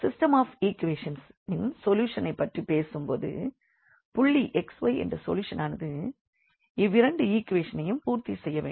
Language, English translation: Tamil, Now, talking about the solution of the system of equations; so solution means a point x y which satisfy satisfies both the equations